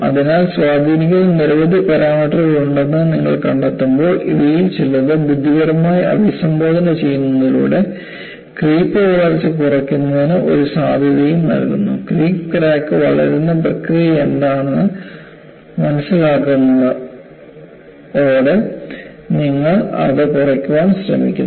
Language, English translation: Malayalam, So, when you find there are so many parameters that influence; it also provides you a possibility, to minimize crack growth by creep by addressing some of these intelligently; by understanding, what is the process by which, creep crack grows, you try to minimize it